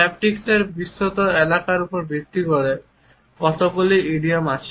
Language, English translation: Bengali, It is interesting to note how so many idioms are based on the wider area of haptics